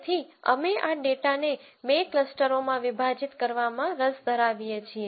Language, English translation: Gujarati, So, we are interested in partitioning this data into two clusters